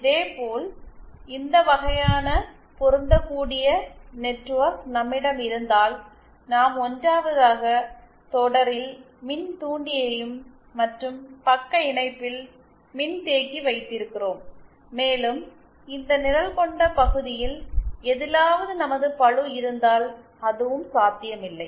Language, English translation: Tamil, Similarly if we have this kind of matching network where we 1st have inductor in series and capacitor and shunt after that and that is also not possible if we have our load anywhere in this shaded region